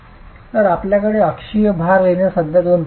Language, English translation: Marathi, So we have two ways in which the axial load can be written